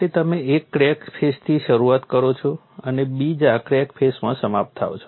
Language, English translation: Gujarati, So, you start from one crack face and end in another crack face